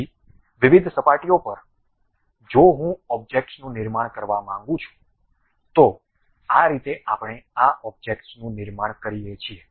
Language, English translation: Gujarati, So, on different surfaces if I would like to really construct objects, this is the way we construct these objects